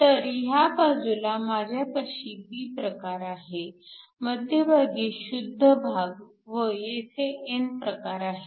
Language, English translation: Marathi, So, on this side, I have a p type semiconductor at the center, I have an intrinsic and here I have an n type